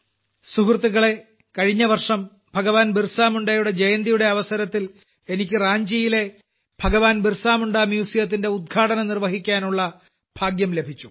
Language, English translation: Malayalam, Friends, Last year on the occasion of the birth anniversary of Bhagwan Birsa Munda, I had the privilege of inaugurating the Bhagwan Birsa Munda Museum in Ranchi